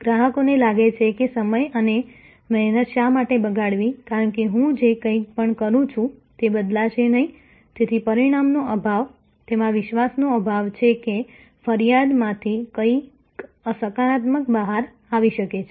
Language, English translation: Gujarati, Customer feels that, why waste time and effort, because whatever I do nothing will change, so lack of outcome, lack of confidence in that, there can be something positive coming out of the complain